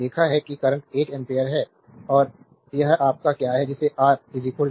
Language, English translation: Hindi, We have seen the current is one ampere and it is your what you call R is equal to 8 ohm